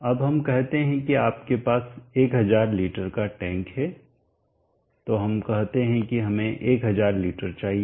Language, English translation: Hindi, Now let us say you have a 1000 tank, so let us say we want 1000 leaders